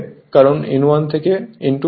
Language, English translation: Bengali, Of course, N 1 greater than N 2